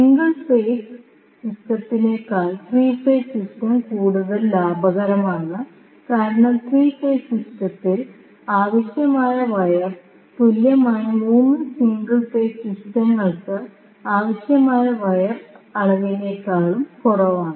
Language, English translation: Malayalam, Because the amount of wire which is required for 3 phase system is lesser than the amount of wire needed for an equivalent 3 single phase systems